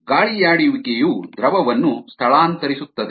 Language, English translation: Kannada, the aeration also displaces the fluid